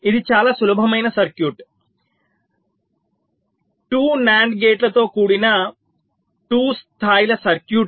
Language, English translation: Telugu, this is a very simple circuit, a two level circuit consisting of two nand gates